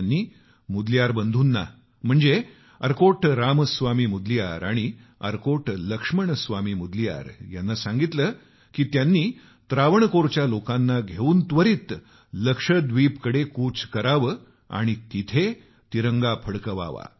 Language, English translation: Marathi, He urged the Mudaliar brothers, Arcot Ramaswamy Mudaliar and Arcot Laxman Swamy Mudaliar to immediately undertake a mission with people of Travancore to Lakshadweep and take the lead in unfurling the Tricolour there